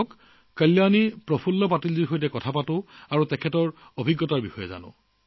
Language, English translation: Assamese, Come let's talk to Kalyani Prafulla Patil ji and know about her experience